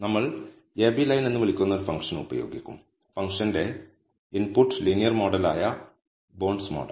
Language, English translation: Malayalam, We will use a function called ab line and the input for the function is bondsmod which is my linear model